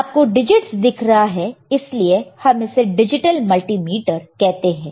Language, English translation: Hindi, To measure this value, we can use this particular equipment called a digital multimeter